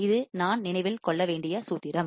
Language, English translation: Tamil, This is the formula that I have to remember